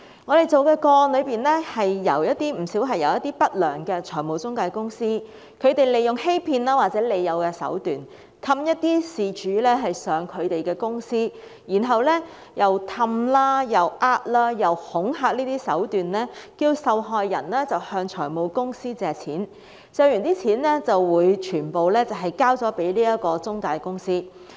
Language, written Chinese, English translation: Cantonese, 我們跟進的不少個案，是一些不良的財務中介公司利用欺騙或利誘的手段，哄騙事主前往他們的公司，再以哄騙、恐嚇的手段，要求受害人向財務公司借貸，借得的金額會全數交給中介公司。, In some of these cases followed up by us unscrupulous financial intermediaries lured victims to their office and tricked or coax them into borrowing money from finance companies and then handing over the full amount of the loan to the intermediaries